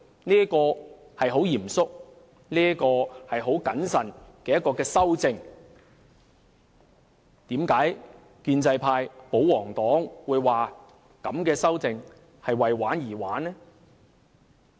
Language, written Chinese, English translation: Cantonese, 這是很嚴肅、很謹慎的修正，為何建制派、保皇黨會說這樣的修訂是為玩而玩？, The amendment is proposed with seriousness and due consideration . Why do the pro - establishment camp and the royalists consider this amendment as fussing for the sake of fussing?